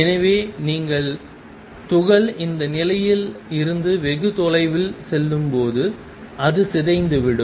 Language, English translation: Tamil, So, that as you go far away from that position of the particle it decay